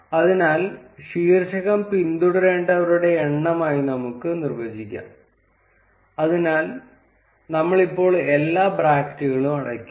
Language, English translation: Malayalam, So, we can define the title as number of followers, so we would close all the brackets now